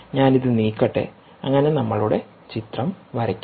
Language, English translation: Malayalam, so let me move this so that we draw our picture better